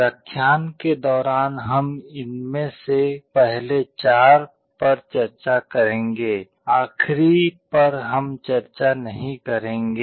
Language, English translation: Hindi, During the lectures we shall be discussing the first four of these, the last one we shall not be discussing